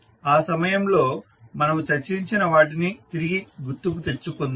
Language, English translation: Telugu, So, let us recap what we discussed at that time